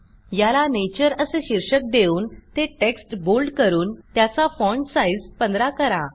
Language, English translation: Marathi, We will give its heading as Nature in bold text with font size 15